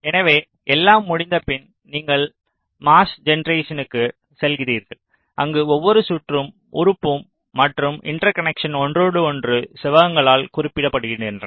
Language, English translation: Tamil, ok, so, after everything is done, you proceed for mask generation, where so every circuit, element and interconnection are represented by rectangles